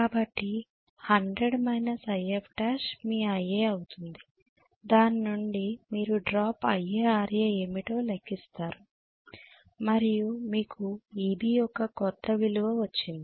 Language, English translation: Telugu, So 100 minus IF dash will be your IA from that you will calculate what is the drop IA, RA drop and you have got the new value of Eb